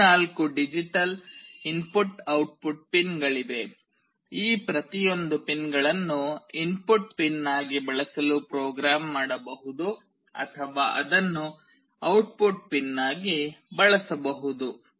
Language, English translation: Kannada, There are 14 digital input output pins, each of these pins can be programmed to use as an input pin or it can be used for output pin